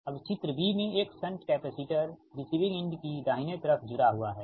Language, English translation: Hindi, now in figure b a shunt capacitor is connected right at the receiving end